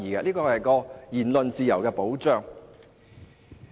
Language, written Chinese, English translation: Cantonese, 這是對言論自由的保障。, This provision seeks to protect freedom of speech